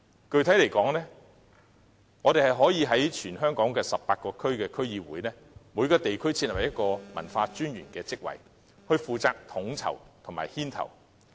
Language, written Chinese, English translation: Cantonese, 具體來說，我們可在全港18區區議會，各設立一個文化專員的職位，負責統籌和牽頭。, Particularly we can establish a position of commissioner for culture in each of the 18 DCs to take charge of coordination and leading initiatives